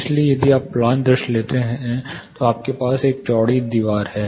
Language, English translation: Hindi, So, if you take plan view you have a wide wall